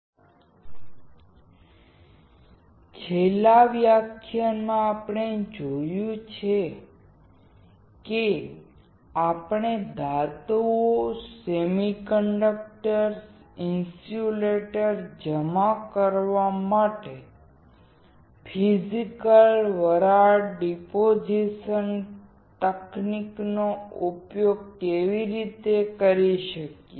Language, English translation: Gujarati, So, in the last module we have seen, how we can use physical vapor deposition technique to deposit metals, semiconductors, and insulators